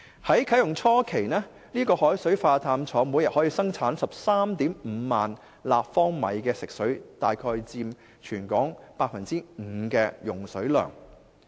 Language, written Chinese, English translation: Cantonese, 在啟用初期，海水化淡廠每天可生產 135,000 立方米食水，約佔全港 5% 用水量。, During the initial stage of its operation the plant can produce 135 000 cu m of drinking water per day accounting for about 5 % of daily water consumption in Hong Kong